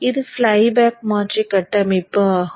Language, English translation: Tamil, This is the flyback converter circuit